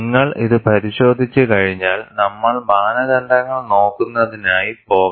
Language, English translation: Malayalam, Once you have looked at this, we have to go for standards